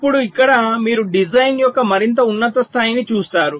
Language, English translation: Telugu, ok, now here you look at a even higher level of a design